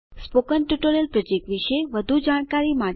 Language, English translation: Gujarati, To know more about the spoken tutorial project